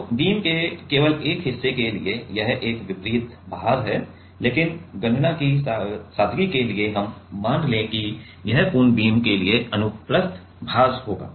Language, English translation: Hindi, So, it is a distributed load for only a part of the beam, but for simplicity of calculation we will assume that it will be transverse load for the full beam